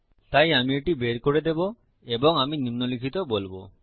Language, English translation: Bengali, So Ill scrap this and Ill say the following